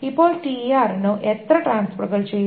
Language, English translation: Malayalam, Now, how many transfers are done for TR